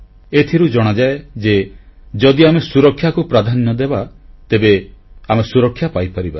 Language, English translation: Odia, This proves that if we accord priority to safety, we can actually attain safety